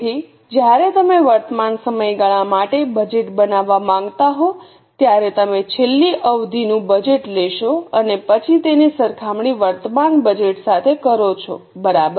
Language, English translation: Gujarati, So when you want to make budget for the current period you will take the last period's budget and then compare that with the current budget